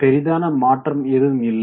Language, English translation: Tamil, So there is no significant change in it